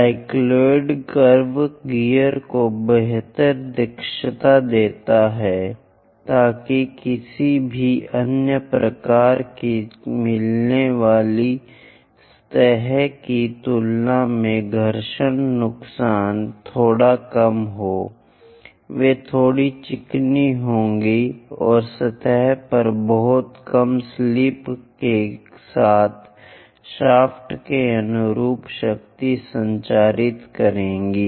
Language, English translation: Hindi, The cycloid curves gives better efficiency in mating the gas so that frictional losses will be bit less compared to any other kind of mating surfaces; they will be bit smooth and transmit power in line with the shaft with very less slip on the surfaces